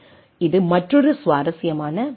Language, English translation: Tamil, This is another interesting part